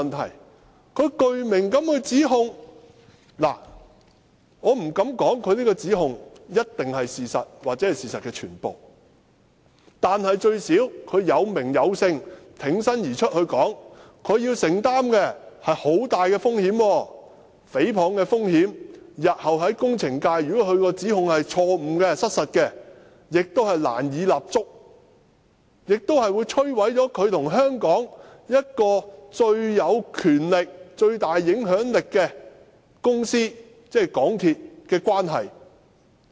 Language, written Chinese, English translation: Cantonese, 投訴人具名地指控，我不敢說他的指控一定是事實或事實的全部，但最低限度他有名有姓、挺身而出地作出指控，他需要承擔很大的風險，誹謗的風險，如果他的指控是錯誤、失實的，日後他亦難以在工程界立足，並會摧毀他和香港最有權力、最大影響力的公司的關係。, I dare not say whether his allegations are the truth or the whole part of the truth but at least he has stepped forward bravely revealed his name and levelled allegations at them . He has to bear a big risk a risk of libel . If his allegations are later proven wrong or untrue it will be difficult for him to hold any footing in the engineering sector and it will ruin his relationship with the most powerful and influential company ie